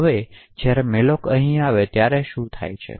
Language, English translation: Gujarati, Now what could happen when malloc gets invoked over here